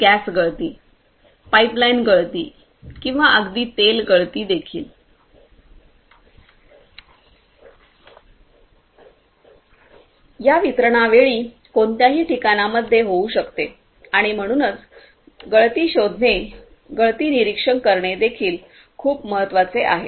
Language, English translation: Marathi, So, gas leakage, pipeline leakage or even the oil leakage might happen in any of the points in these transmission lines and so, leakage detection, leakage monitoring is also very important